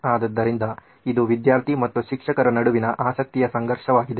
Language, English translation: Kannada, So this is the conflict of interest between the student and the teacher